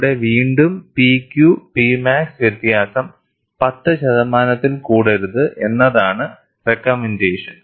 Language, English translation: Malayalam, There again, the recommendation is P Q and P max difference should not exceed 10 percent